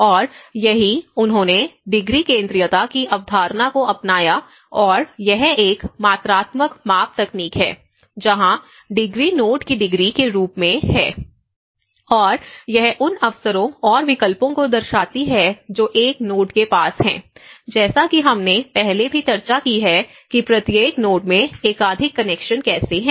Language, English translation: Hindi, And this is where they adopted the concept of degree centrality and this is a quantitative measure technique where the degree as a degree of a node and it depict the opportunities and alternatives that one node has, as we discussed in before also how each node has have a multiple connections